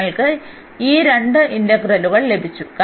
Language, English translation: Malayalam, So, that is the value of the integral